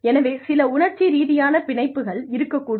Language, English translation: Tamil, So, that has to be, some emotional attachment